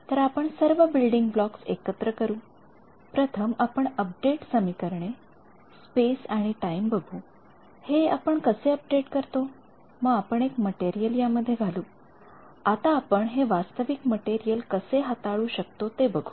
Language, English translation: Marathi, So, we are putting together all the building blocks, first we look at update equations space and time how do we update, then we put a material inside how do we handle a realistic material